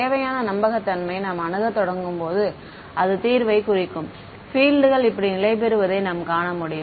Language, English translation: Tamil, As you begin to approach the required fidelity for representing the solution, you will find that the fields stabilize like this